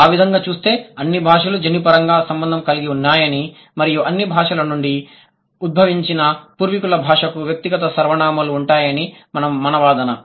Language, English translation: Telugu, So, going by that our argument is that all languages are generically related and the ancestral language from which all the languages have been derived, they have personal pronouns